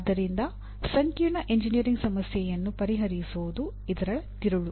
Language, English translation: Kannada, That is what it, so solving complex engineering problem is the core of this